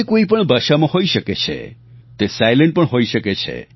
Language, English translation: Gujarati, It can be in any language; it could be silent too